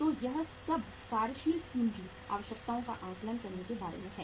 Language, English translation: Hindi, So this is all about how to assess the working capital requirements